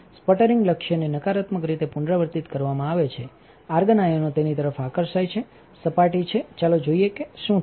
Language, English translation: Gujarati, Sputtering target is negatively charged therefore, the argon ions are attracted towards it is surface let us see what happens